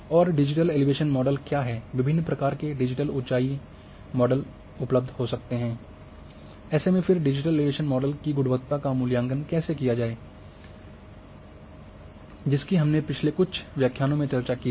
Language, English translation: Hindi, And what are digital elevation models, what are what are different types of digital elevation models maybe available, what are how to evaluate the quality of digital elevation model which we have discussed in some previous lectures